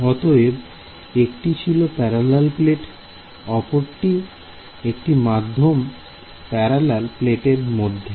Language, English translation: Bengali, So, one was parallel plate, the other is you know wave between parallel plates ok